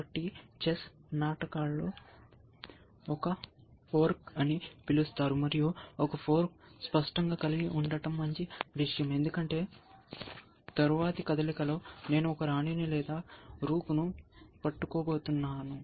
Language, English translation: Telugu, So, chess plays called is a fork, and a fork is; obviously, a good thing to have essentially, because it among to saying that in the next move, I am going to either capture a queen or a rook